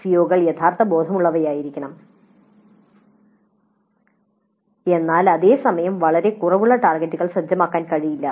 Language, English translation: Malayalam, The COs must be realistic but at the same time one cannot set targets which are too low